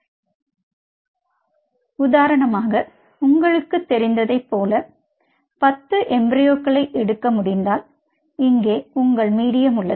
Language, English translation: Tamil, so say, for example, if you could manage to pull, like you know, ten from ten feet or a ten embryos here is your medium